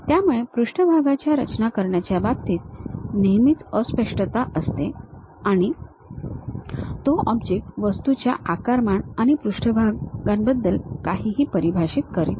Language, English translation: Marathi, So, there always be ambiguity in terms of surface construction and it does not define anything about volumes and surfaces of the object